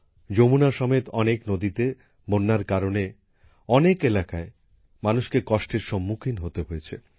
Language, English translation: Bengali, Owing to flooding in many rivers including the Yamuna, people in many areas have had to suffer